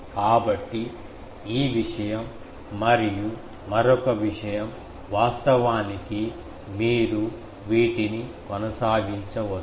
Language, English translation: Telugu, So, this thing and another thing actually you can go on doing these that